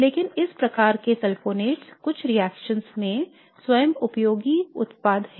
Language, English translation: Hindi, But these types of sulfonates are themselves useful products in certain reactions